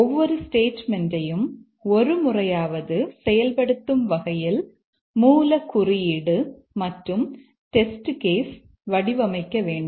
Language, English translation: Tamil, We just look at the source code and design test cases such that every statement is executed at least once